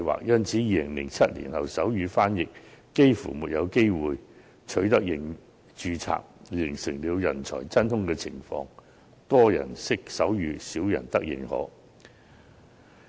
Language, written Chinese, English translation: Cantonese, 因此，在2007年後，手語傳譯員幾乎沒有註冊機會，形成了人才真空情況：多人識手語，少人得認可。, As a result sign language interpreters almost have no opportunities to get registered after 2007 . This has led to a vacuum of talents many people know how to sign but very few can get their sign language accredited